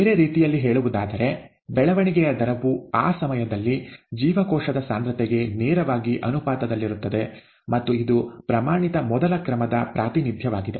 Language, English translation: Kannada, The, in other words, the rate of growth, growth rate is directly proportional to the cell concentration at that time, and this is nothing but the standard first order representation